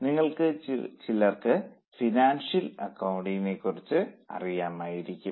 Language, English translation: Malayalam, Some of you might be knowing about financial accounting